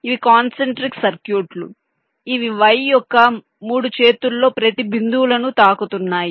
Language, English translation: Telugu, these are concentric circuits which are touch in one of the points along each of the three arms of the y